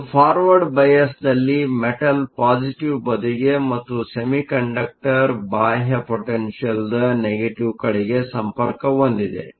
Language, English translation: Kannada, So, In a forward bias, the metal is connected to the positive side and the semiconductor is connected to the negative side, of an external potential